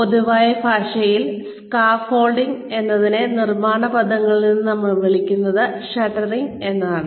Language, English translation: Malayalam, I mean, in general parlance, scaffolding is, what we call in construction terms are, shuttering